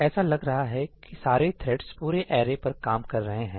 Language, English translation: Hindi, So, all the threads seem to be working on the entire array